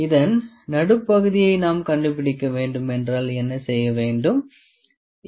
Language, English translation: Tamil, What if we need to find the midpoint of this, ok